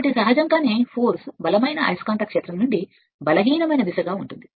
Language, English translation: Telugu, So, naturally your what you call this is the force is acting your what you call this from stronger magnetic field to the weaker one